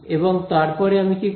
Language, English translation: Bengali, And then what do I do